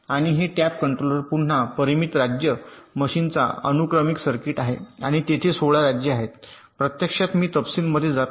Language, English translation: Marathi, and this tap controller is again ah sequential circuit of final state machine and there are sixteen states actually i am not going to detail